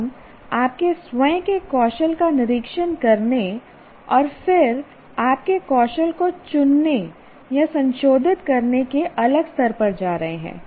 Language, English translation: Hindi, So what happens you are going to the next level of inspecting your own skill and then selecting or modifying your skill